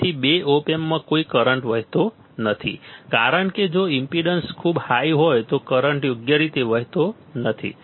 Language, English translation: Gujarati, So, no current flows in two op amps right because if the impedance is very high then the current cannot flow right